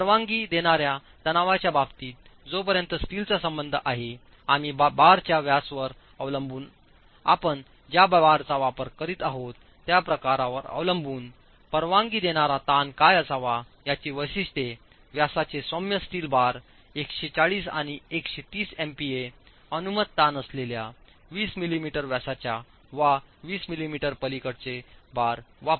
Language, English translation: Marathi, In terms of allowable stresses, as far as the steel is concerned, we are talking of depending on the bar diameter, depending on the type of bar that you are using, specifications of what should be the allowable stress, mild steel bars of diameters up to 20mm and mild steel bars beyond 20mm diameter diameter with 140 and 130 MPA allowable stress and if you are using high strength, high ealt strength deform bars, 230 MPA or you use 0